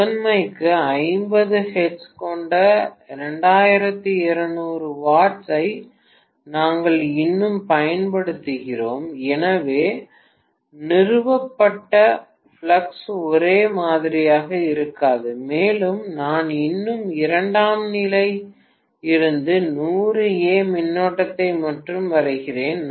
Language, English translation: Tamil, We are still applying 2200 watts for the primary and I am having only 50 hertz, so the flux establish is the same and I am still drawing only 100 amperes of current from the secondary and 10 ampere I am supplying to the primary